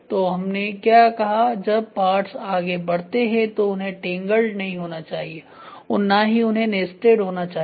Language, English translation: Hindi, So, that is what we say, when the parts move it should not get tangled, it should not get nested